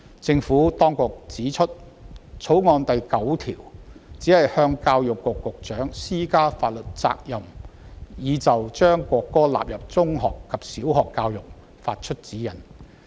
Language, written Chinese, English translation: Cantonese, 政府當局指出，《條例草案》第9條，只向教育局局長施加法律責任，以就將國歌納入小學及中學教育發出指示。, The Administration has pointed out that clause 9 only imposes a legal responsibility on the Secretary for Education to give directions for the inclusion of the national anthem in primary and secondary education